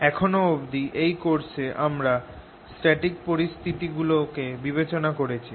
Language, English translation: Bengali, so far in this course we have focused on static situations